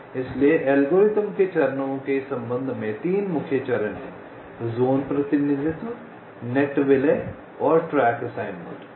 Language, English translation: Hindi, ok, so, regarding the steps of the algorithm, there are three main steps: zone representation, net merging and track assignment